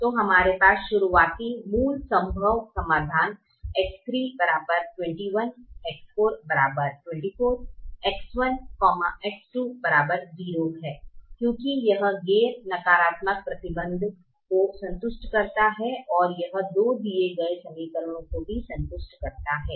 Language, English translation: Hindi, so we have the starting solution: x three equal to twenty one, x four equal to twenty four, x one, x two equal to zero is basic feasible because it satisfies the non negativity restriction